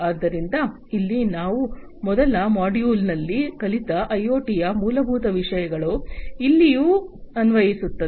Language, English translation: Kannada, So, here whatever we have learned about in IoT in the fundamentals in the first module, everything is applicable here as well